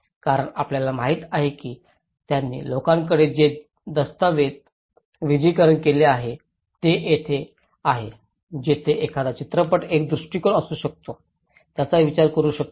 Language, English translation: Marathi, Because you know one need to showcase that what they have documented to the people this is where a film is one approach one can think of